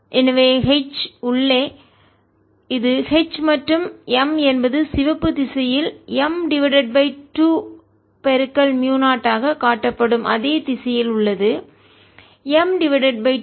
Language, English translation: Tamil, so h inside this is h and m is in the same direction, shown by red magnitude, being m by two, mu zero, m by two